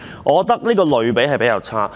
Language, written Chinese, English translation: Cantonese, 我認為這個比喻比較差。, I find such an analogy rather lame